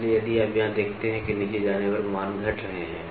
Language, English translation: Hindi, So, if you see here the values are decreasing when you move down